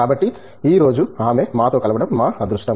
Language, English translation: Telugu, So, it’s our pleasure to have her with us today